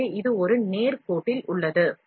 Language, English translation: Tamil, So, this is the along a straight line